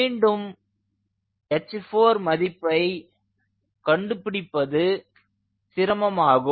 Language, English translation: Tamil, again, h four is difficult to determine